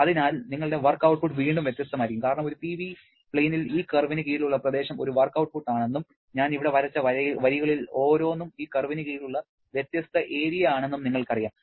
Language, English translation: Malayalam, So, your work output again will be different because on a PV plane we know that the area under the curve is a work output and each of these lines that I have drawn here, each of them has a different area under the curve, accordingly the work output also will be different and therefore the output definitely depends upon the process path